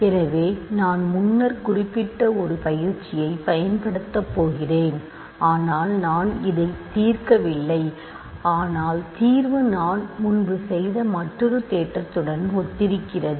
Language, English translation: Tamil, So, I am going to use an exercise which I mentioned earlier, but I have I have not solved this, but the solution is exactly similar to another theorem that I have done earlier